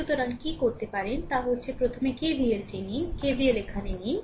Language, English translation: Bengali, So, what you can do is that first take KVL like this, you take KVL here